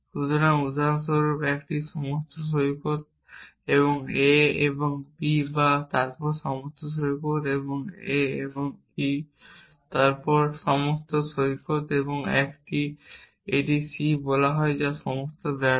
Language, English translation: Bengali, So, for example, a beach and a and b then beach and a and e then beach and a and f and let say all fail